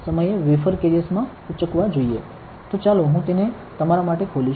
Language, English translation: Gujarati, So, let me open it for you